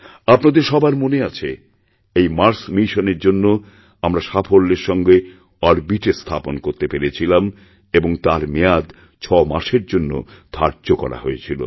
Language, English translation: Bengali, You may be aware that when we had successfully created a place for the Mars Mission in orbit, this entire mission was planned for a duration of 6 months